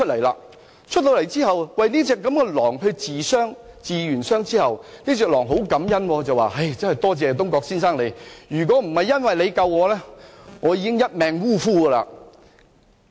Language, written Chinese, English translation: Cantonese, 狼跳出來之後，東郭先生替牠療傷，狼十分感恩，並說："我真的感謝你，如果不是你救了我，我便一命嗚呼了。, After the wolf jumped out of the basket Mr Dongguo treated its wounds and the wolf was so grateful that it said I am really grateful to you . I would have died had you not saved me